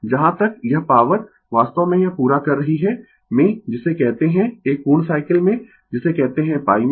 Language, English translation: Hindi, Whereas, this power actually it is completing in what you call compete 1 cycle in what you call in pi